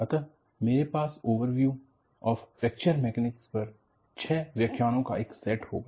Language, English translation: Hindi, So, I will have the first set of six lectures, on Overview of Fracture Mechanics